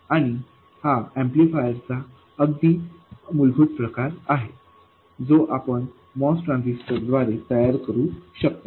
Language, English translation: Marathi, And this is the very basic type of amplifier you can build with a MOS transtasy